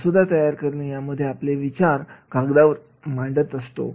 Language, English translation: Marathi, Drafting is putting our ideas and thoughts down on the paper